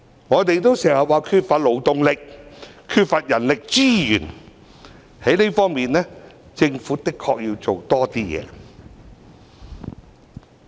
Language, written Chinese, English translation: Cantonese, 我們經常說缺乏勞動力、缺乏人力資源，政府的確需要在這方面多做一些工夫。, As oft - mentioned we have insufficient labour force and manpower shortage and in this regard the Government really needs to do something more